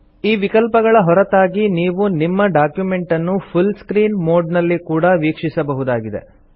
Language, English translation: Kannada, Apart from both these options, one can also view the document in full screen mode